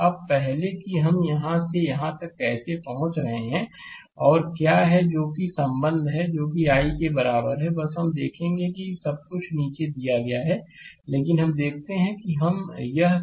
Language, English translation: Hindi, Now, before your how we are getting from here to here and what is the your what is the your that vir relationship, what is equal to i, just we will see everything is given at the bottom, but let us see how we can do it